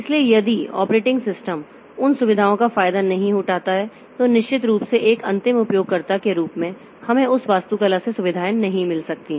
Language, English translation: Hindi, So, if the operating system does not exploit those features, then of course as an end user we cannot get facilities from that architecture